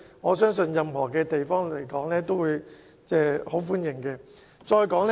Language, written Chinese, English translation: Cantonese, 我相信任何地方都會很歡迎興建故宮文化博物館。, I believe the idea of building a palace museum in the local area would be very much welcomed in any place of the world